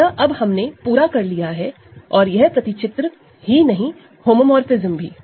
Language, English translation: Hindi, So, now, we are done and not only that this map, this homomorphism